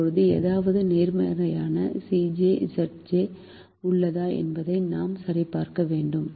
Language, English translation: Tamil, now we need to check whether there is any positive c j minus z j